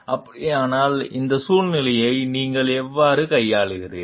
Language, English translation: Tamil, If it is so, then how then you handle this situation